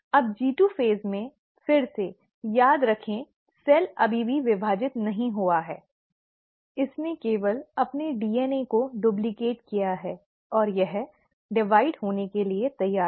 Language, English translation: Hindi, Now in the G2 phase, again, remember, the cell has still not divided, it has only duplicated its DNA, and it's ready to divide